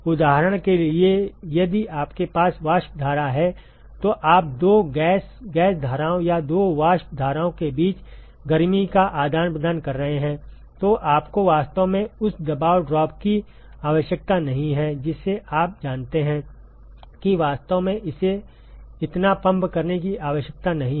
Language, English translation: Hindi, For example, if you have a vapor stream you are exchanging heat between two gas gas streams or two vapor streams, then you really do not need that much pressure drop you know really do not need to pump it that much